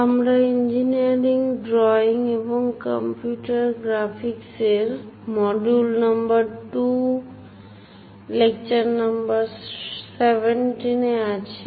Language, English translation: Bengali, Engineering Drawing and Computer Graphics; We are in module number 2, lecture number 17